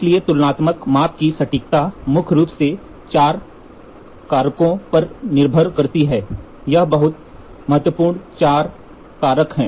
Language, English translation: Hindi, So, accuracy of a comparison measurement primarily depends on 4 factors, these are very important 4 factors